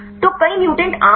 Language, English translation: Hindi, So, there are many mutants are common